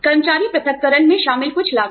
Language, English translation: Hindi, Some costs involved in employee separations